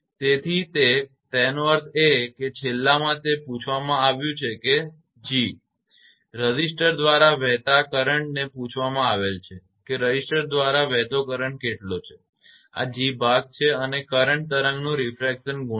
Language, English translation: Gujarati, So, that; that means, that last one it has been asked that is, so g that is it has been asked the current flowing through resistor, that what is the current flowing through resistor this is g part right and refraction coefficient of the current wave